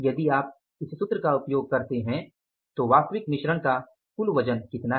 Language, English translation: Hindi, If you use that formula, so what is the total weight of actual mix